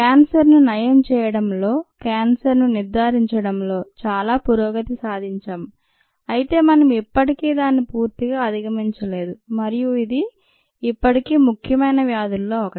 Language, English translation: Telugu, there is lot of progress that has been made in treating cancer, in ah, diagnosing cancer, but we have still not completely overcome it and it is still one of the important diseases of today